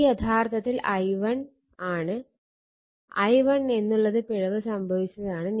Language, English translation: Malayalam, So, it is small i1 right small i1 you will get this